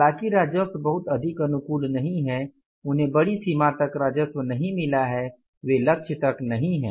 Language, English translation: Hindi, Though the revenues are not very much favorable, they have not got the revenue to the larger extent they are not up to the mark